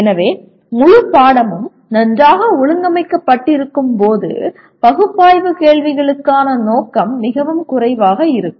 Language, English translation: Tamil, So when the whole subject is very well organized the scope for analyze questions will be lot less